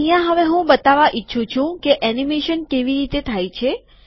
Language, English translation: Gujarati, Now here I want to point out the way animation happens